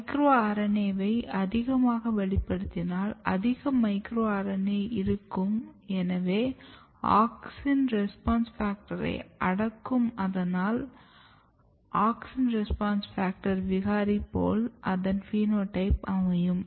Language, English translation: Tamil, So, when you overexpress MIRNA there is more micro RNA more micro RNA more down regulation of AUXIN RESPONSE FACTOR which means that it will have a similar phenotype as the auxin response factor mutant